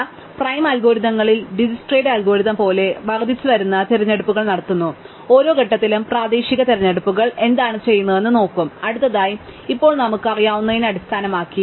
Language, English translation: Malayalam, So, in prim's algorithms more as Dijkstra's algorithms, we make incremental choices, local choices at every point, we will look at what we do next, based on what we know now